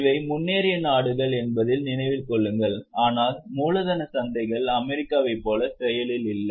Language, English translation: Tamil, Keep in mind that these are advanced countries, but the capital markets are not as active as in US